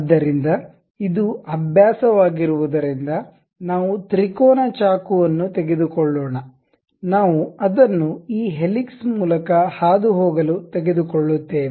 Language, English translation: Kannada, So, because it is a practice, we what we are going to take is a triangular knife, we take it pass via this helix